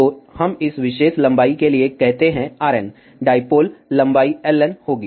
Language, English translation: Hindi, So, let us say for this particular length R n, dipole length will be L n